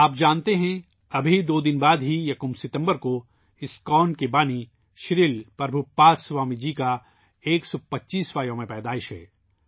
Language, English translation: Urdu, You know that just after two days, on the 1st of September, we have the 125th birth anniversary of the founder of ISKCON Shri Prabhupaad Swami ji